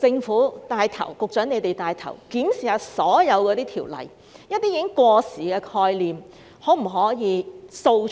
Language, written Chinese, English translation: Cantonese, 可否由一眾局長帶頭檢視所有條例，掃除一些已過時的概念？, Can all the Secretaries take the lead in reviewing all ordinances to remove obsolete concepts?